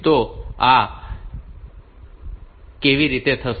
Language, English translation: Gujarati, So, how this will be done